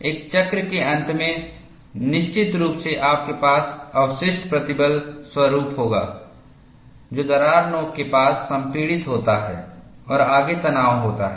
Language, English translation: Hindi, At the end of one cycle, invariably, you will have a residual stress pattern, which is compressive, near the crack tip and tension ahead